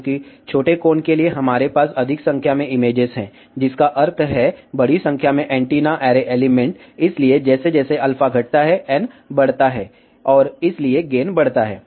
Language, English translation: Hindi, Now, one can actually imagine that, since for smaller angle, we have more number of images that means, larger number of antenna array element, hence as alpha decreases, n increases, and hence gain increases